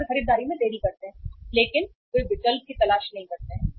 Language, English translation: Hindi, And they delay the purchases but they do not look for the substitutes